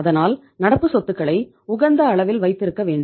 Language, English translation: Tamil, So we have to have optimum level of current assets